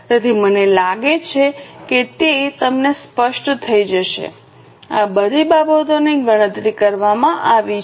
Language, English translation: Gujarati, So, I think it will be clear to you all these things have been calculated